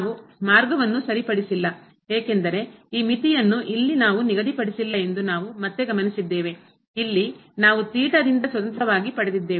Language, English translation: Kannada, We have again note that we have not fixed the path because this limit here, we got independently of theta